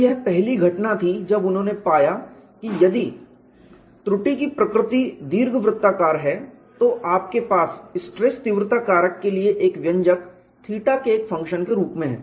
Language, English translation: Hindi, So, this was the first instance when they found if the flaw is elliptical in nature, you have an expression for stress intensity factor as a function of theta